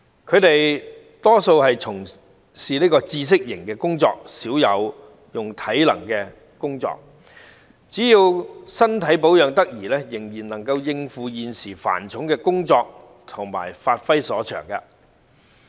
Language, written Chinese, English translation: Cantonese, 他們大多數從事知識型工作，少有體能性的工作，所以只要身體保養得宜，仍然能夠應付現時繁重的工作量和發揮所長。, The majority of them are engaged in knowledge - based work and they seldom have to take up physical work thus so long as they remain physically fit they are still able to cope with the existing heavy workload and give play to their strengths